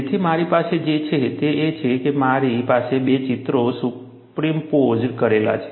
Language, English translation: Gujarati, So, what I have here is, I have two pictures superimposed